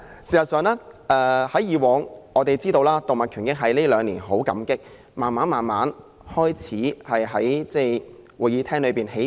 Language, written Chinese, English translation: Cantonese, 事實上，我們感到欣慰，因為動物權益在近兩年慢慢在這個會議廳內起步。, In fact we are gratified to see animal rights slowly become an issue of concern to this Council in the last couple of years